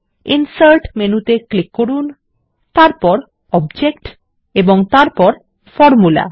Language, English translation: Bengali, Now let us call Math by clicking Insert menu, then Object and then Formula